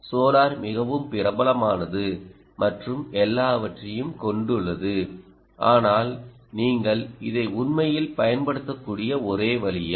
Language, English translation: Tamil, solar is so well known, popular and all that, but is that the only way by which you can actually you, you can actually use this